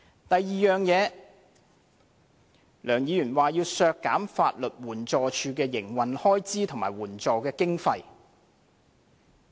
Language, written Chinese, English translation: Cantonese, 其次，梁議員說要削減法律援助署的營運開支及法律援助經費。, Besides Mr LEUNG proposes to cut the operational expenses and legal aid funding for the Legal Aid Department